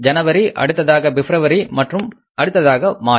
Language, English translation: Tamil, Then it is February and then it is March